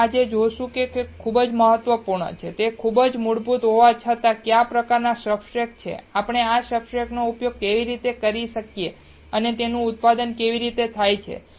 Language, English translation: Gujarati, What we have seen today is very important, even though it is very basic, that what kind of substrates are there, how can we use these substrates and how these are manufactured